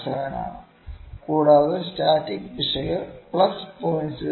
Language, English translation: Malayalam, 007, and the static error is plus 0